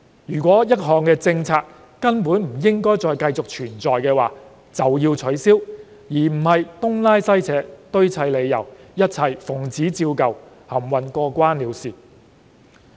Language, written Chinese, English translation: Cantonese, 如果一項政策根本不應存在便乾脆取消，而不是東拉西扯、堆砌理由、一切奉旨照舊、含混過關了事。, A policy should be abolished if there is downright no need to exist . There is no point of making up excuses playing the old tunes and muddling through